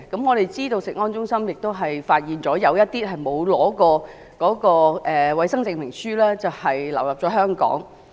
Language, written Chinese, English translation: Cantonese, 我們知道食物安全中心發現了一些沒有獲得衞生證明書的食物流入香港。, We know that the Centre for Food Safety has found that some foods without a health certificate have entered Hong Kong